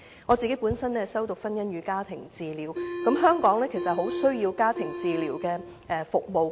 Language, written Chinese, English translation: Cantonese, 我本身修讀婚姻與家庭治療，而香港其實很需要家庭治療服務。, I have studied marriage and family therapy myself . Hong Kong really needs family therapy services